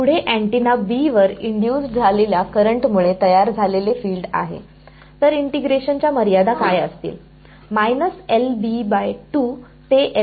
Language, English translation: Marathi, Next is the field produced by the current induced on antenna B; so, limits of integration